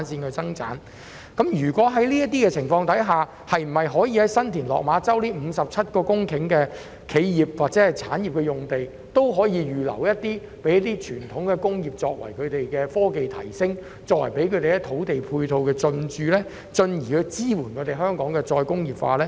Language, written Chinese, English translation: Cantonese, 在此情況下，新田/落馬洲的57公頃企業及科技用地可否預留部分讓傳統工業進駐，為其科技提升提供土地配套，從而支援香港的再工業化？, So can the Government earmark part of the 57 - hectare enterprise and technology site in San TinLok Ma Chau to provide traditional industries with land support for its technological upgrading thereby supporting Hong Kongs re - industrialization?